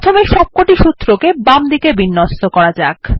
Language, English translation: Bengali, Let us first align all the formulae to the left